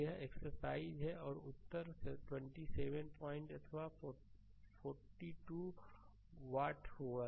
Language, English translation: Hindi, So, it is exercise for you and answer will be 27 point your 4 2 watts